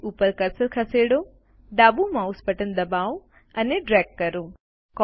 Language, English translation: Gujarati, Move the cursor to the page, press the left mouse button and drag